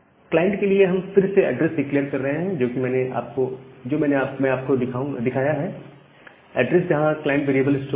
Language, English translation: Hindi, We are again declaring a address for the client that we have shown; the address where the client variable will get stored